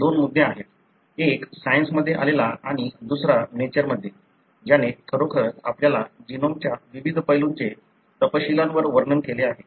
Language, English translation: Marathi, There are two issues; one that came in Science, the other one in Nature, which really detailed the different aspects of our genome